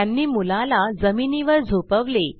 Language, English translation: Marathi, They made the boy lie down